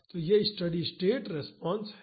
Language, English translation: Hindi, So, this is the steady state response